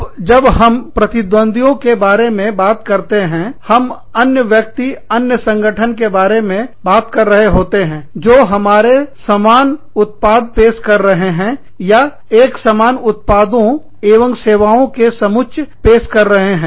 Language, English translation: Hindi, Now, when we talk about competitors, we are talking about other people, other organizations, who are offering the same product, or similar set of products and services, that we are offering